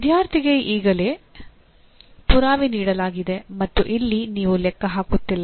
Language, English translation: Kannada, Proof is already given to the student and here you are not calculating